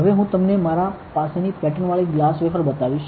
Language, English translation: Gujarati, Now, I have; I will show you a patterned glass wafer